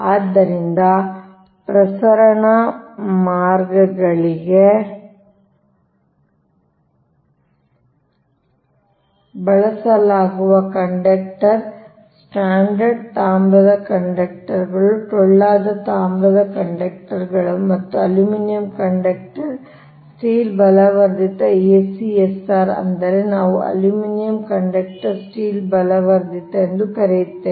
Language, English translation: Kannada, so the conductor use for transmission lines are standard copper conductors, hollow copper conductors and aluminium conductors, steel reinforced, that is a c s r, that is we call aluminium, copper, steel reinforced